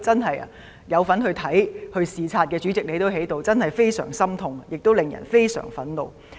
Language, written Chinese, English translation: Cantonese, 當時曾參與視察的人——主席你當時也在——真的感到非常心痛，亦令人感到非常憤怒。, People who joined the inspection―President you were there at the time―really felt heart - rending and indignant